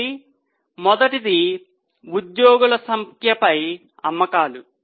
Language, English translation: Telugu, So, first one is sales upon number of employees